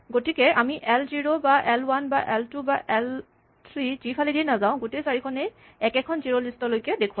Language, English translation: Assamese, So, whether we access it through l 0 or l 1 or l 2 or l 3, all 4 of them are pointing to the same zerolist